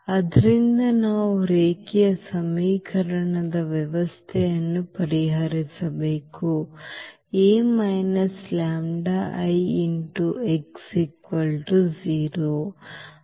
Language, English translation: Kannada, So, we have to solve the system of linear equation A minus lambda x is equal to 0